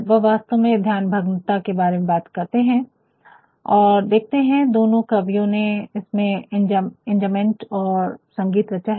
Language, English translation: Hindi, He actually talks about distraction and you will find both these poets, they have actually createdenjambed lines and musicality in it